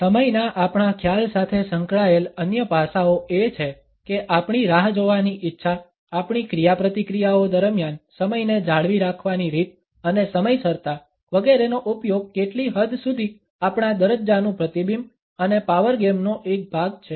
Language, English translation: Gujarati, Other aspects which may be associated with our concept of time is our willingness to wait, the way we maintained time, during our interactions and to what extent the use of time punctuality etcetera are a reflection of our status and a part of the power game